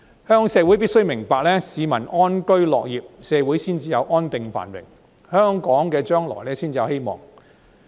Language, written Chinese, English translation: Cantonese, 香港社會必須明白，市民安居樂業，社會才會安定繁榮，香港將來才有希望。, The Hong Kong community must understand that the prerequisite for stability and prosperity in society and a hopeful future for Hong Kong is that people enjoy peace in life and find contentment at work